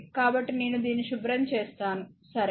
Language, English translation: Telugu, So, let me clean this one, right